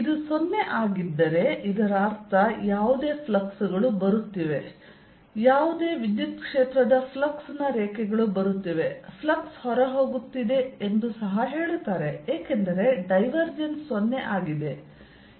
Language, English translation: Kannada, if this is zero, that means whatever fluxes coming in, whatever electric filed lines a flux is coming in, say, flux is going out because this divergence is zero